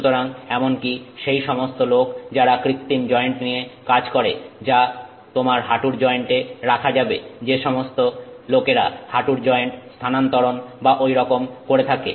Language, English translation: Bengali, So, even people who are working with, you know, artificial joints which can be put your knee joint that, you know, people do knee joint replacement and so on